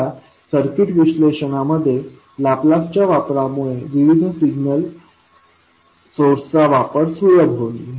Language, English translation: Marathi, Now the use of Laplace in circuit analysis will facilitate the use of various signal sources